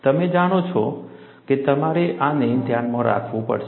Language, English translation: Gujarati, You know, this you have to keep in mind